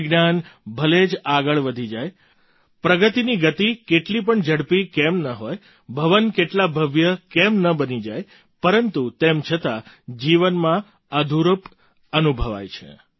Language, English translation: Gujarati, However much science may advance, however much the pace of progress may be, however grand the buildings may be, life feels incomplete